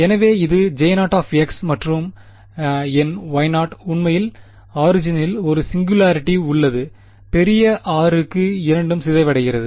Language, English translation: Tamil, So, this is my J 0 of x and on the other hand, my Y 0 actually has a singularity at the origin and both d k for large r ok